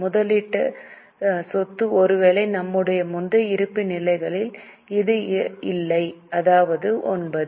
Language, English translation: Tamil, Investment property, perhaps in our earlier balance sheets this was not there